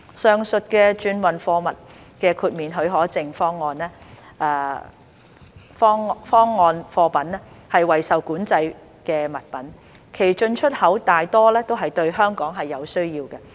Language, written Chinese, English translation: Cantonese, 上述的轉運貨物豁免許可證方案貨品為受管制物品，其進出口大多是對香港是有需要的。, The goods covered by the transhipment cargo exemption scheme are controlled items imported and exported mostly to meet the needs of Hong Kong